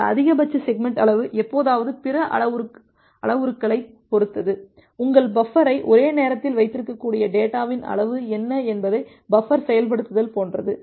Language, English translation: Tamil, This maximum segment size sometime depends on other parameters, like the buffer implementation of what is the amount of the data that your buffer can hold at one go